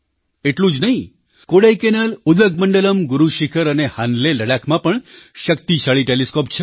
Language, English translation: Gujarati, Not just that, in Kodaikkaanal, Udagamandala, Guru Shikhar and Hanle Ladakh as well, powerful telescopes are located